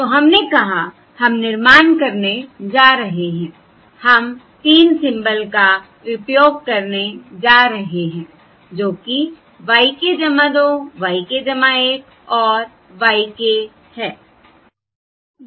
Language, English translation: Hindi, We said we are going to employ received symbols y k plus 2, y k plus 1 and y k for equalisation